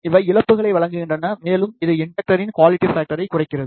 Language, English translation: Tamil, And, these provide the losses, and this reduces the quality factor of the inductor